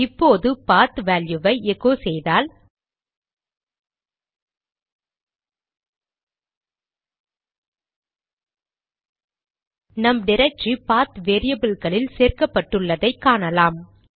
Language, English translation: Tamil, Now if we echo the value of PATH, Our added directory will also be a part of the PATH variable